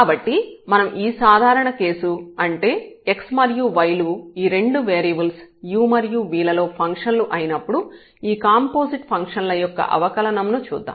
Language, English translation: Telugu, So, the differentiation of the composite functions when we have this more general case that x and y they also depend on u and v a functions of 2 variables